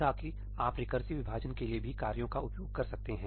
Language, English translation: Hindi, you can also use tasks for recursive splitting